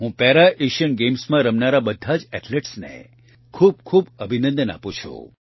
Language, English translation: Gujarati, I congratulate all the athletes participating in the Para Asian Games